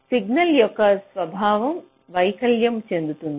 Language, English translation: Telugu, ok, the nature of the signal gets deformed